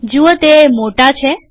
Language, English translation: Gujarati, See its bigger